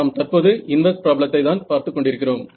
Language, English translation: Tamil, We are looking at the inverse problem